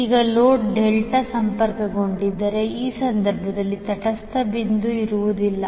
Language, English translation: Kannada, Now if the load is Delta connected, in that case the neutral point will be absent